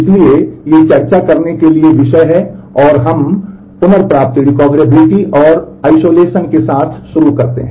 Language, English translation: Hindi, So, these are the topics to discuss and we start with recoverability and isolation